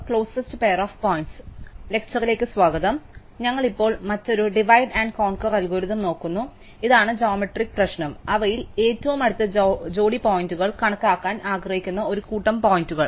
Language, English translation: Malayalam, We now look at another divide and conquer algorithm, this is a geometric problem, given a set of points we would like to compute the closest pair of points among them